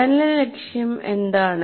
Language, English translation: Malayalam, What is an identified learning goal